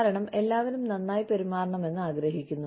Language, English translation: Malayalam, Because, everybody wants to be treated, well